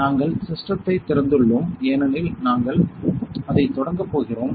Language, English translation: Tamil, So, we have opened the system because we are going to start it